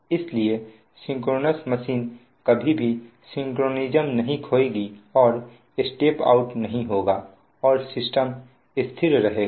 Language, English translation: Hindi, so synchronous machine will never lose synchronism and will or not fall out of step and system will remain stable